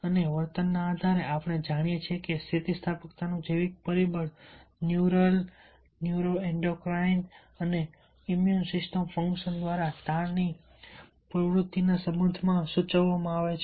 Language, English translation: Gujarati, we know that biological factors of resilience is suggested by neural, neuroendocrine and immune system functions relation to stress activity